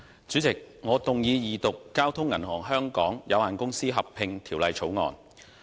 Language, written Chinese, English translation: Cantonese, 主席，我動議二讀《交通銀行有限公司條例草案》。, President I move the Second Reading of the Bank of Communications Hong Kong Limited Merger Bill the Bill